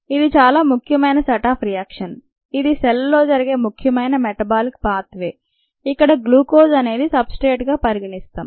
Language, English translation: Telugu, so since this is an important set of reactions, important metabolic pathway that takes place in the cell, glucose is a typical substrate that is considered